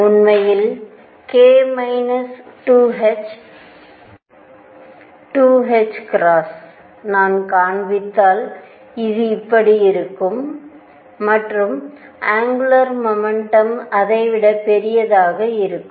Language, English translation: Tamil, In fact, k minus 2 h 2 h cross if I would show it will be like this, and the angular momentum would be at in larger than